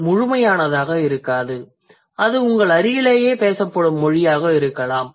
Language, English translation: Tamil, It could be just a simple or a language that is spoken in your vicinity